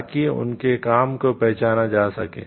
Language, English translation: Hindi, So, that their work gets recognizable